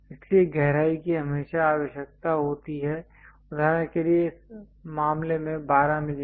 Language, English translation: Hindi, So, depth is always be required for example, here in this case 12 mm